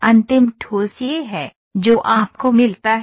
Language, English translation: Hindi, The final solid is this, what you get